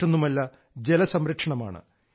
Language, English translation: Malayalam, It is the topic of water conservation